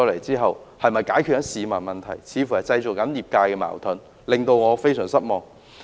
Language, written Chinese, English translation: Cantonese, 這些方案似乎為業界製造了矛盾，這令我非常失望。, To my great disappointment these proposals seem to have caused conflicts in the industry